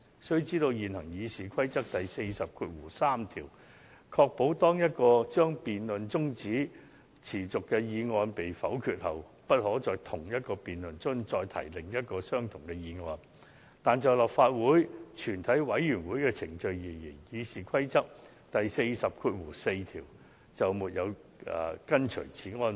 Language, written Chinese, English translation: Cantonese, 須知道，現行《議事規則》第403條確保當一項將辯論中止待續的議案被否決後，不可在同一項辯論中再次提出另一項相同議案，但就立法會全體委員會的程序而言，《議事規則》第404條未有訂明是項安排。, We must note that Rule 403 of the existing Rules of Procedure ensures that when a motion that the debate be now adjourned has been negatived no further motion that the debate be now adjourned shall be moved during that debate but as to the proceedings of a committee of the whole Council of the Legislative Council RoP 404 does not stipulate such an arrangement